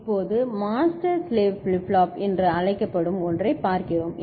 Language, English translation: Tamil, Now, we look at something called master slave flip flop ok